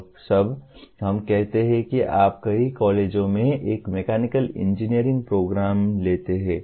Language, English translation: Hindi, Now all, let us say you take a mechanical engineering program in several colleges